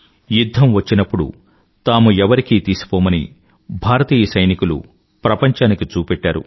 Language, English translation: Telugu, Indian soldiers showed it to the world that they are second to none if it comes to war